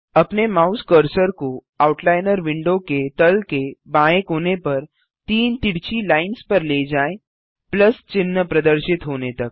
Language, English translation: Hindi, Move your mouse cursor to the hatched lines at the bottom left corner of the right Outliner panel till the Plus sign appears